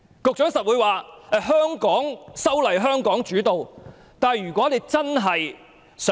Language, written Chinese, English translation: Cantonese, 局長一定會說，香港的修例應由香港主導。, The Secretary would certainly say that Hong Kong should take the lead in its own legislative amendment exercise